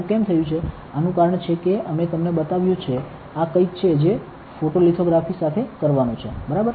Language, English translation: Gujarati, Why has this happened, this is because we have you so this is something to do with photolithography, ok